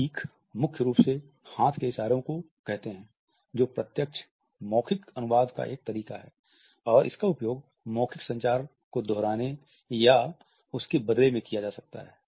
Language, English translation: Hindi, Emblems primarily imply hand gestures that away direct verbal translation and can be used to either repeat or substitute the verbal communication